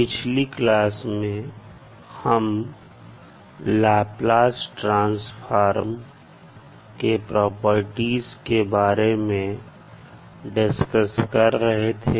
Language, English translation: Hindi, In this session discussed about a various properties of the Laplace transform